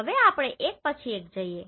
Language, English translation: Gujarati, Now let us go one by one